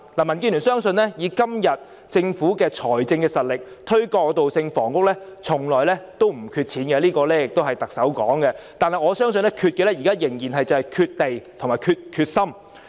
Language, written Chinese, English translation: Cantonese, 民建聯相信，以今天政府的財政實力，不會缺乏金錢推動過渡性房屋，這是特首說的，但我相信現在欠缺的仍然是土地和決心。, DAB believes that as the Chief Executive has said given its current financial resources the Government will not lack the money to provide transitional housing . We believe that what we still lack is land and determination